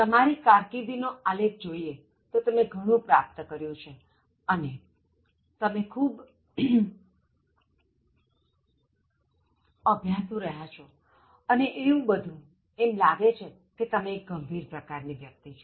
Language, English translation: Gujarati, So your CV looks—you are a very high achiever, and you are very studious in your studies and all that, it looks like that you are a very serious person